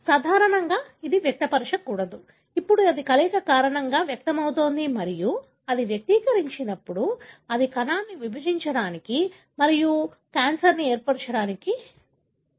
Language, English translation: Telugu, Normally it should not express, now it expresses because of the fusion and when it expresses, it drives the cell to divide and divide and form cancer, right